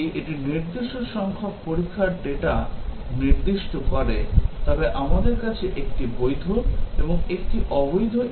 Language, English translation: Bengali, If it specifies a specific number of test data, then we have 1valid and 1invalid equivalence class